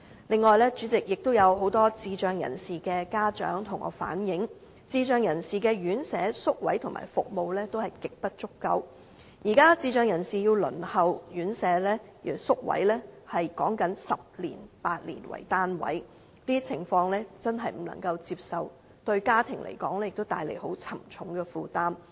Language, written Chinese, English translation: Cantonese, 此外，主席，有很多智障人士的家長向我反映，智障人士的院舍、宿位和服務極不足夠，現時智障人士輪候院舍宿位的時間是8至10年，這些情況真的不能接受，而且也為家庭帶來很沉重的負擔。, Furthermore President many parents of persons with intellectual disabilities reflected to me that residential care homes residential care places and services for persons with intellectual disabilities are severely inadequate . The current waiting time for a residential care places for persons with intellectual disabilities is 8 to 10 years bringing onerous burden to their families . This is really unacceptable